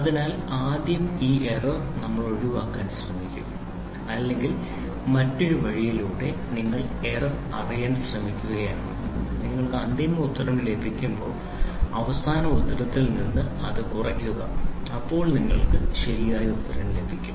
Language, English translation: Malayalam, So, this error first we will try to avoid or the other way round is you try to know the error and when you get the final answer, subtract it from the final answer then you get the correct answer